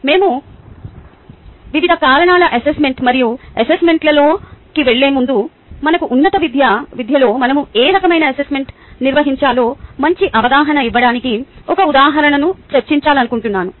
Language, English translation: Telugu, before we get into different types of assessment and ah assessment plan, i would like to discuss one example to give a better understanding of what type of assessment we should be conducting within our higher education